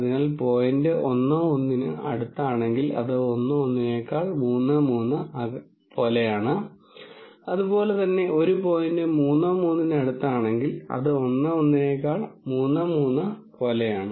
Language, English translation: Malayalam, So, if a point is closer to 1 1 then it is more like 1 1 then 3 3 and similarly if a point is close to 3 3 it is more like 3 3 than 1 1